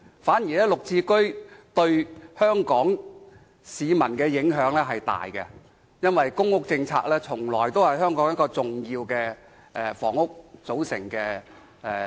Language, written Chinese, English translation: Cantonese, 反而綠置居對香港市民的影響較大，因為公屋政策從來是香港房屋政策的重要組成。, GSH however may bring about a bigger impact on Hong Kong people because PRH policy has always been an important component of housing policy in Hong Kong